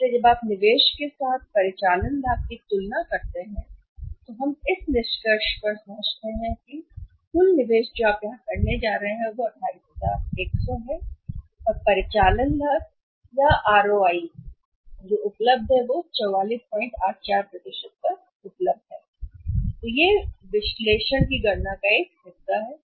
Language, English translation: Hindi, So, when you compare the operating profit with the investment we arrived at conclusion that the total investment you are going to make here is that is of 28100 and operating profit or ROI available is 44